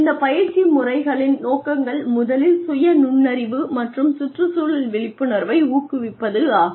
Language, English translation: Tamil, The objectives of these training methods are, first is promoting, self insight and environmental awareness